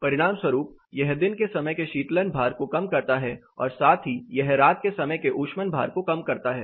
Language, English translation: Hindi, As a consequence it reduces the daytime cooling load as well as it reduces the night time heating load